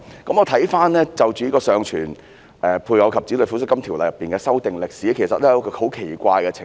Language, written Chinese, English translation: Cantonese, 關於《尚存配偶及子女撫恤金條例》的修訂歷史，其實出現了一個很奇怪的情況。, Regarding the history of amending the Surviving Spouses and Childrens Pensions Ordinance a strange situation has actually arisen